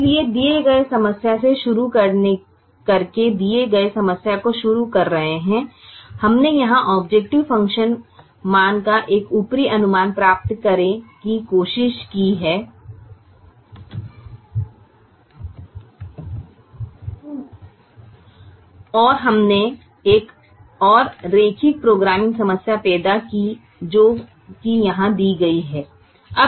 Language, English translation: Hindi, so, starting from the given problem, starting from the given problem which is here, we tried to get an upper estimate of the objective function value and we ended up creating another linear programming problem, which is given here